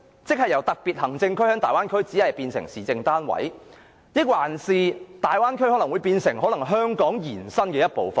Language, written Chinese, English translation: Cantonese, 在大灣區內由香港特區變成市政單位，還是大灣區可能變成香港延伸的一部分？, Will Hong Kong be reduced from a special administrative region to an administrative unit or the Bay Area become an extension of Hong Kong?